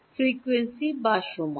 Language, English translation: Bengali, Frequency or time